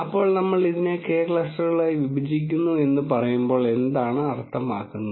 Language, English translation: Malayalam, So, what does it mean when we say we partition it into K clusters